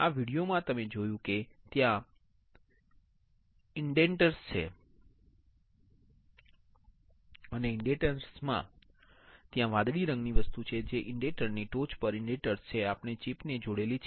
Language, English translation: Gujarati, In the video what you have seen, you have seen that there are indenters and in the indenters, there are blue color thing which are indenters at the tip of the indenter we have attached the chip that we have I have just shown it to you